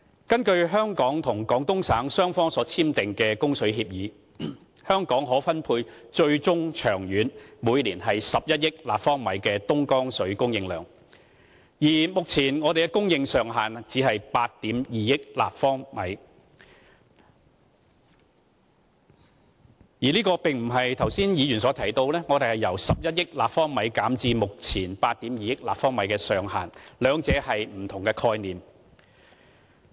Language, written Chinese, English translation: Cantonese, 根據香港及廣東省雙方所簽訂的供水協議，香港最終可獲分配每年11億立方米的東江水，而目前給我們的供應上限只是8億 2,000 萬立方米。這並不是剛才議員所提到我們獲供應的上限，由11億立方米減至目前8億 2,000 萬立方米，兩者是不同的概念。, According to the water supply agreement between Hong Kong and Guangdong Province Hong Kong is allocated an ultimate annual supply quantity of 1 100 million cu m but the current ceiling of water supply for us is only 820 million cu m This is not a case of the ceiling of supply for us being decreased from 1 100 million cu m to 820 million cu m as a Member has just mentioned and the two things are different concepts